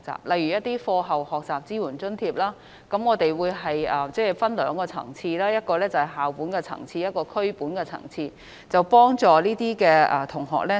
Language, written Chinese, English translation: Cantonese, 例如在課後學習支援津貼方面，我們會分為兩個層次，其一是校本層次，其二是區本層次，藉以為有關的學生提供協助。, For example as far as after - school learning support grants are concerned we have adopted a two - tier structure for the financing mode for offering support to students in need with school - based grant at the first tier and community - based projects at the second one